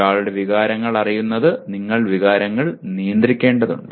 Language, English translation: Malayalam, Knowing one’s emotions you have to manage the emotions